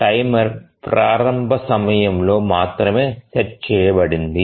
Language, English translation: Telugu, The timer is set only at the initialization time